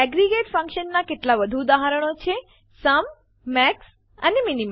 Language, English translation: Gujarati, Some more examples of aggregate functions are SUM, MAX and MIN